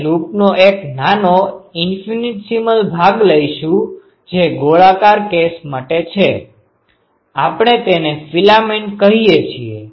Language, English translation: Gujarati, We will take a small portion infinite definite portion ah of the loop that is for circular cases; we call it a filament